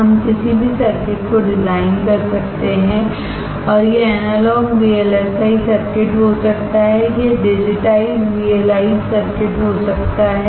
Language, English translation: Hindi, We can design any circuit and it can be Analog VLSI circuits, it can be digitized VLSI circuits